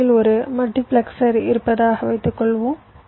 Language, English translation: Tamil, suppose there is a multiplexer in between